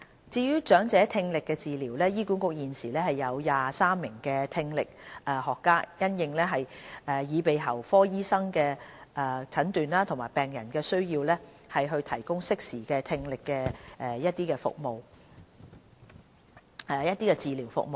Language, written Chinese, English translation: Cantonese, 至於長者聽力治療，醫管局現時共有23名聽力學家，因應耳鼻喉科醫生的診斷和病人的需要，提供適時的聽力測試和治療服務。, On the audiological treatment services for the elderly people HA is currently employing 23 audiologists to provide timely hearing tests and treatment according to the diagnosis made by the ear nose and throat specialists and the needs of patients